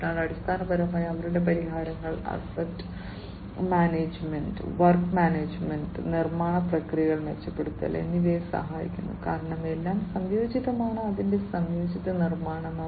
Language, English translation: Malayalam, So, basically their solutions will help in improving, the asset management, work management, improving the manufacturing processes, because everything is integrated, its integrated manufacturing, and so on